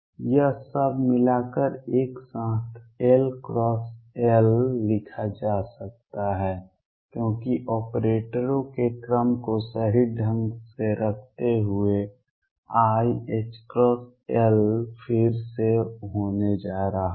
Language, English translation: Hindi, All this can be combined to write together as L cross L keeping the order of operators correctly is going to be i h cross L again